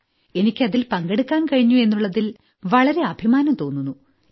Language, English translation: Malayalam, I really feel very proud today that I took part in it and I am very happy